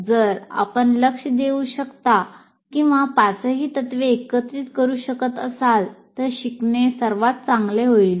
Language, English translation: Marathi, If you are able to pay attention or incorporate all the principles, all the five principles, then learning is best achieved